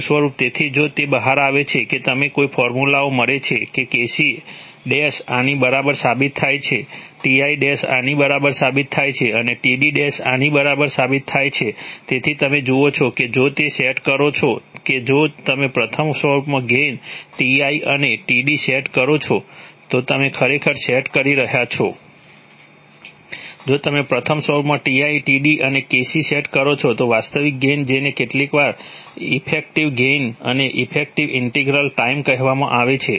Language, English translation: Gujarati, Second form, so if you, it turns out that you get such formulae that Kc ‘ turns out to be equal to this, Ti’ turns out to be equal to this and Td ‘ turns out to be equal to this, so as, so you see that if you set if you set gains Ti and Td in the first form you are actually setting, if you set Ti, Td, and Kc in the first form then the actual gain which sometimes is called the effective gain and the effective integral time